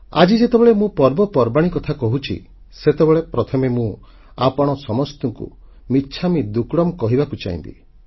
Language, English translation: Odia, Speaking about festivals today, I would first like to wish you all michhamidukkadam